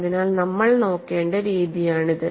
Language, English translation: Malayalam, So, that is the way you have to look at it